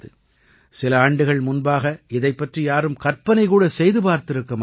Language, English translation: Tamil, Perhaps, just a few years ago no one could have imagined this happening